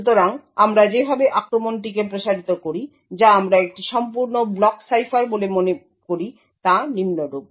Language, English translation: Bengali, So, the way we actually extend the attack that we seem to a complete block cipher is as follows